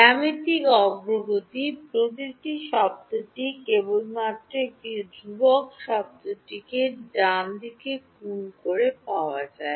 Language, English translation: Bengali, Geometric progression, every term is obtained by multiplying just one constant term to it right